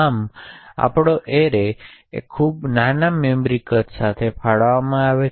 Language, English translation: Gujarati, Thus, my array gets allocated with a very small memory size